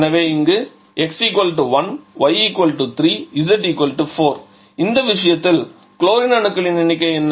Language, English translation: Tamil, So, x = 1, y = 3, z = 4 so number of chlorine in this case or okay first let us calculate the number of carbon